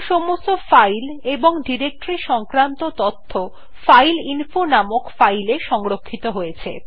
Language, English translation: Bengali, Now all the files and directories information will be directed into the file named fileinfo